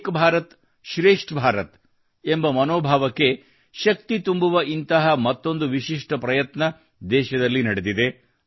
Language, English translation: Kannada, Another such unique effort to give strength to the spirit of Ek Bharat, Shrestha Bharat has taken place in the country